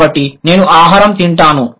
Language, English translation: Telugu, I eat food